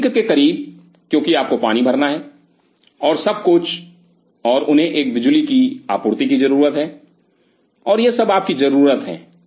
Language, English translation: Hindi, So, close to the sink because you have to fill water and everything and they need a power supply and that is all you need it